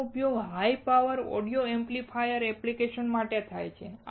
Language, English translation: Gujarati, This is used for high power audio amplifier applications